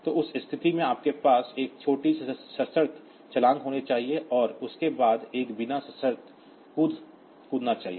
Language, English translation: Hindi, So, in that case you should have a small conditional jump followed by one unconditional jump